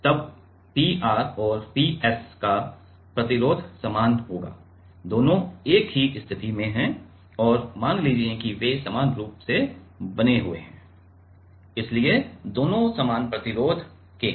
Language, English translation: Hindi, Then P r and P s will have the same resistance both are at the same position and let us say they are fabricated similarly so, both are of same resistance